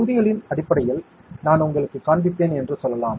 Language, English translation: Tamil, Let us say I will just show you in terms of blocks